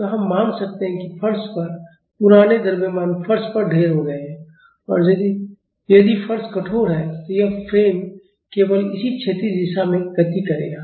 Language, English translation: Hindi, So, we can assume that the old masses on the floor is lumped at the floor and if the floor is rigid, this frame will move only in this horizontal direction